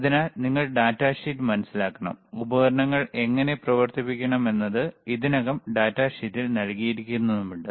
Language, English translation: Malayalam, So, that is data sheet that you have to understand the datasheet, how to operate the equipment is already given in the data sheet